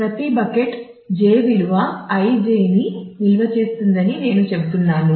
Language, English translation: Telugu, So, what I was saying that each bucket j stores a value i j